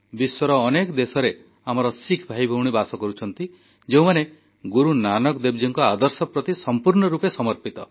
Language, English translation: Odia, Many of our Sikh brothers and sisters settled in other countries committedly follow Guru Nanak dev ji's ideals